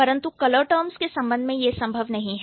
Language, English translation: Hindi, But in case of, in case of color, color terms, it's not possible